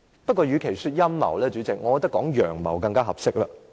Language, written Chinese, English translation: Cantonese, 不過，與其稱這為陰謀，主席，我認為稱為"陽謀"更為合適。, Nonetheless President I think it is more appropriate to call this a blatant plot rather than a conspiracy